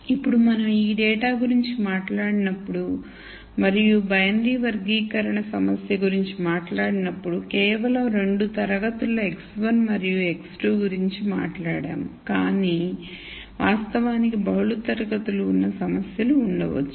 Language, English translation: Telugu, Now, when we talked about this data and we talked about the binary classification problem, we talked about just 2 classes x 1 and x 2, but in reality there could be problems where there are multiple classes